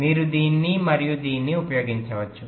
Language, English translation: Telugu, you can use this and this